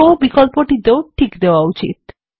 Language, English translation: Bengali, The SHOW option should also be checked